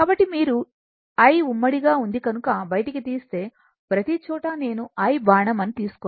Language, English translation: Telugu, So, if you take I common, so everywhere I will not take I arrow